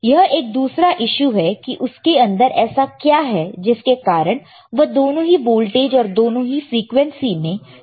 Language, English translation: Hindi, So, that is that is a separate issue that what is within it so that it can operate on both the voltages both the frequency